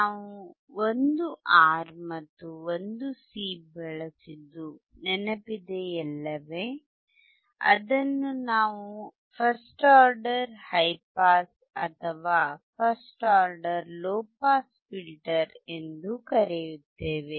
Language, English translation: Kannada, You remember when we use one R and one C, we also called it is first order high pass or first order low pass filter